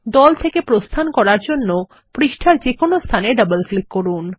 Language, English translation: Bengali, To exit the group, double click anywhere on the page